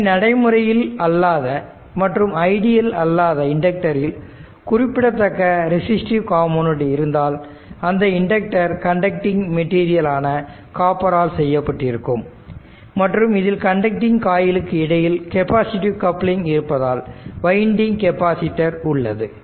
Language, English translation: Tamil, So, if practical and non ideal inductor has a significant resistive component, it has significant resistive component due to the your fact that the inductor is made of a your what you call conducting material such as copper, which has some resistance and also has a winding capacitance due to the your capacitive coupling between the conducting coils; that means, it has resistance also some capacitance is there right